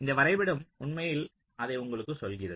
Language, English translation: Tamil, so this diagram actually tells you that